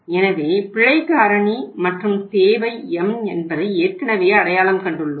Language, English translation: Tamil, So we have already identified here the error factor and demand is M